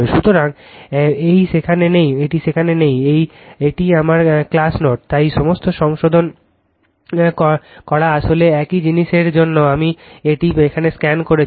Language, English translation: Bengali, This is my class note, so all corrections made actually same thing I have scanned it here for you right